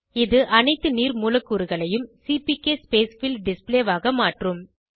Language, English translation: Tamil, This will convert all the water molecules to CPK Spacefill display